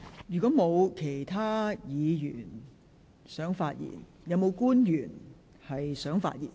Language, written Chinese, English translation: Cantonese, 如果沒有議員想發言，是否有官員想發言？, If no Members wish to speak does any official wish to speak?